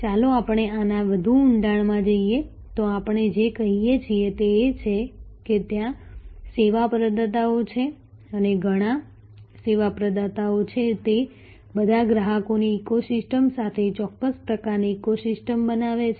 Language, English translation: Gujarati, Let us take some more let us go deeper into this, so what we are saying is that there are service providers and there are many, many service providers they all forms certain kind of an ecosystem with an ecosystem of customers